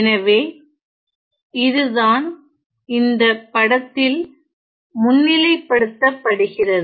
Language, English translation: Tamil, So, that is what highlighted in this figure here